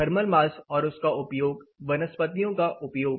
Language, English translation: Hindi, Thermal mass, the use of it, use of vegetation